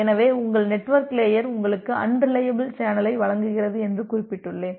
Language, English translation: Tamil, So, as I have mentioned that your network layer provides you an unreliable channel